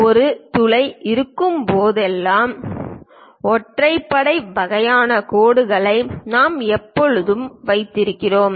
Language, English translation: Tamil, Whenever hole is there, we always have this dash the odd kind of lines